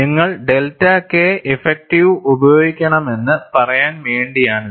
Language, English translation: Malayalam, So, you have to find out, how to get delta K effective